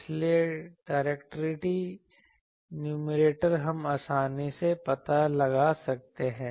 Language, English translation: Hindi, So, directivities numerator, we can easily find out